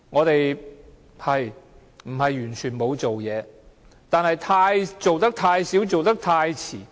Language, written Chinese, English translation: Cantonese, 當局不是完全沒有做事，但卻做得太少和太遲。, The authorities have not completely done nothing only too little and too late